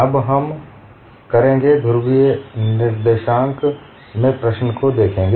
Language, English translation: Hindi, Now we look at the problem in polar co ordinates